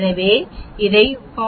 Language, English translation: Tamil, So, we take it as a 40